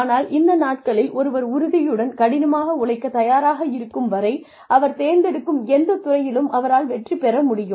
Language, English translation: Tamil, But, these days, as long as, one is committed, and willing to work hard, one can succeed in any field, one chooses